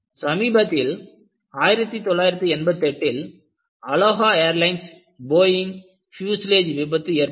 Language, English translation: Tamil, And very recently, in 1988, you had Aloha Airlines Boeing fuselage failure